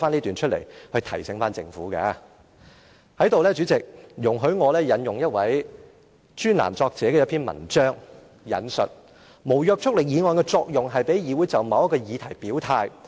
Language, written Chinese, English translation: Cantonese, 代理主席，在這裏容許我引用一位專欄作者的文章，"無約束力議案的作用，是讓議會就某一議題表態。, Deputy President please allow me to quote some words from a columnist The purpose of a motion with no legislative effect is to let the legislature declare its position on a certain topic